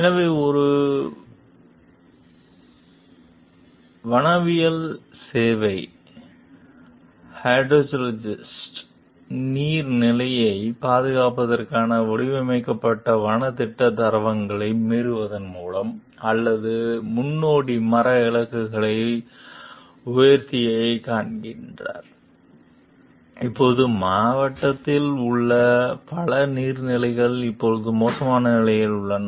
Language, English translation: Tamil, So, a forestry service hydrologist finds that or predecessor boosted timber targets by violating forest plan standards designed for the protection of watersheds, and now many of the watersheds in the district are now in poor condition